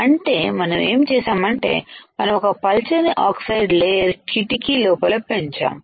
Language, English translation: Telugu, So, now what we will do next step is we will grow a thin layer of oxide in this region